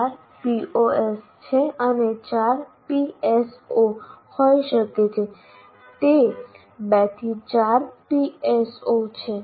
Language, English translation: Gujarati, There are 12 POs and there can be 4 PSOs